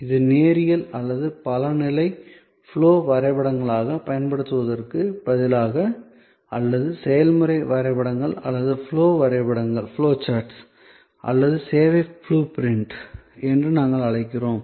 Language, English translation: Tamil, These instead of using this linear or multi level flow diagrams or what we call process maps or flow charts or service blue print